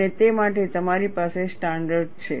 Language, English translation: Gujarati, And you have standards for that